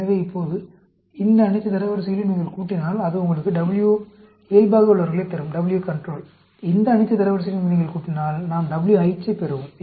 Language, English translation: Tamil, So now, if you add up all these ranks, that will get you W control; if you add up all these ranks, we get the WH